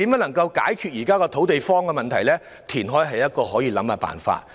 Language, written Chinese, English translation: Cantonese, 要解決現時"土地荒"的問題，填海是可以考慮的辦法。, To solve the current problem of shortage of land reclamation is an option that can be considered